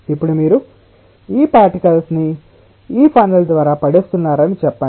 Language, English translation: Telugu, so now you are dropping those particles through this funnel